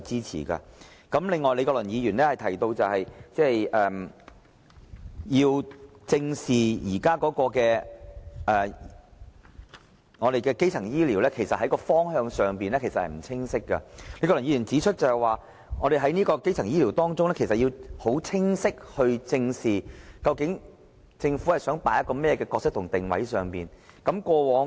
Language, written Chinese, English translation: Cantonese, 此外，李國麟議員提到要正視現時基層醫療服務方向不清晰的問題，李國麟議員指出，在討論基層醫療服務時，我們要很清晰地知道，究竟政府想扮演甚麼角色和定位如何。, Besides Prof Joseph LEE mentions that we have to face squarely to the unclear direction of primary health care services . As highlighted by Prof Joseph LEE when discussing primary health care services we have to know very clearly about the roles and position of the Government